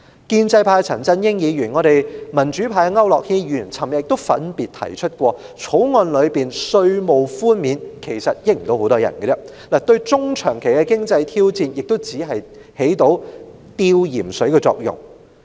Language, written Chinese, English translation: Cantonese, 建制派的陳振英議員和我們民主派的區諾軒議員昨天亦分別指出，其實《條例草案》賦予的稅務寬免，根本沒有太多人可以受惠，對於香港的中長期經濟挑戰亦只能起到輕微的紓緩作用。, Yesterday Mr CHAN Chun - ying of the pro - establishment camp and Mr AU Nok - hin of our pro - democracy camp pointed out separately that few people could indeed benefit from the tax concession offered by the Bill and that the Bill could only render a mild relief in the face of the medium - and - long - term economic challenges confronting Hong Kong